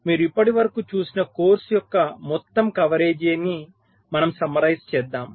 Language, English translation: Telugu, so we summarize the total coverage of the course that you have seen so far